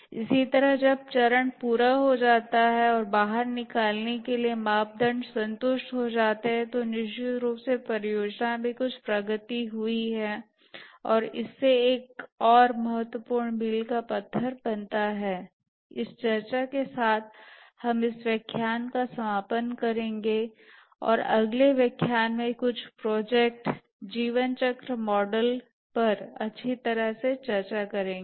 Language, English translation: Hindi, When there is a phase starts after the phase entry criteria has been met an important milestone is met similarly when the phase completes and the exit criteria are satisfied the project definitely has made some progress and that forms another important milestone with this discussion we will conclude this lecture and in the next lecture we will discuss a few project lifecycle models